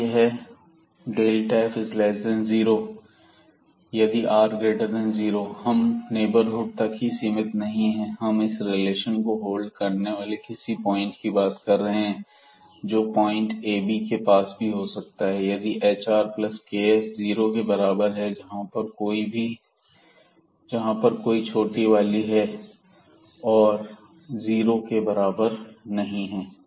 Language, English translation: Hindi, Then this delta f is less than 0 if r is positive and we are not restricting for the neighborhood that we have to be a far at some point where this relation holds, we you can be as close as to this ab point by choosing this hr plus ks is equal to 0 for any small value of this k and not equal to 0